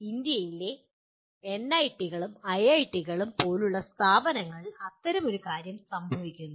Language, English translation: Malayalam, Such a thing happens with institutes like NITs and IITs in India